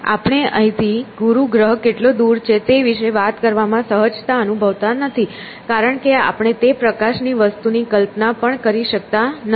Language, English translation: Gujarati, We are not even comfortable talking about how far the planet Jupiter is from here, because we cannot even imagine that kind of a thing